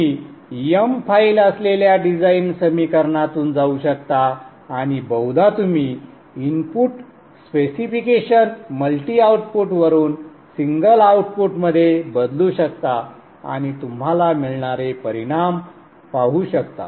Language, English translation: Marathi, You can go through the design equations which is an M file and you can probably change the input specification from multi output to single output and see the results that you get